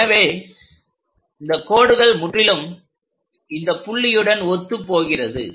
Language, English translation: Tamil, So, that line coincides with this line